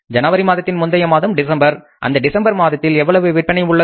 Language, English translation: Tamil, So in the month of January, what was the previous month sales